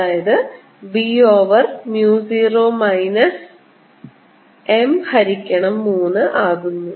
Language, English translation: Malayalam, this is not b, this is b over mu zero minus one third m